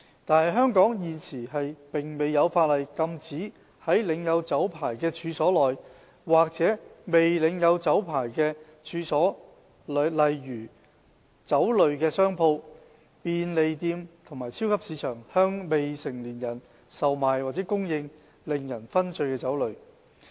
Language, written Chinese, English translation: Cantonese, 但是，香港現時並沒有法例禁止在領有酒牌的處所內，或在未領有酒牌的處所如商鋪、便利店和超級市場內，向未成年人售賣或供應令人醺醉的酒類。, However there is no law in Hong Kong which prohibits the sale or supply of intoxicating liquor to minors in licensed premises or unlicensed premises such as stores convenience stores and supermarkets